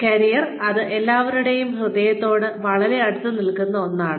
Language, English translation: Malayalam, This is something, that is very close to everybody's heart